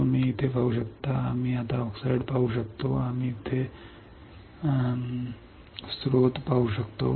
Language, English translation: Marathi, So, you can see here we can see now oxide we can see here oxide